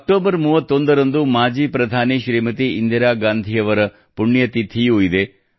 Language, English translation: Kannada, The 31st of October is also the death anniversary of former Prime Minister Smt Indira Gandhi Ji